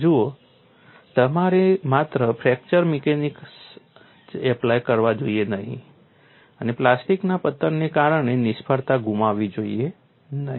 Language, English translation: Gujarati, See, you should not simply apply only fracture mechanics and miss out failure due to plastic collapse